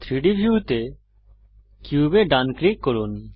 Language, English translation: Bengali, Right click the cube in the 3D view